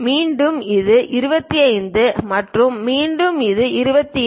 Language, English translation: Tamil, Again, this one is 25 and again this one 28